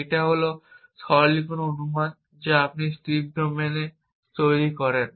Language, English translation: Bengali, These are the simplifying assumptions that you make in strips domain